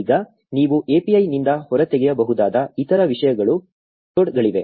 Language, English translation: Kannada, Now there are loads of other things that you can extract from the API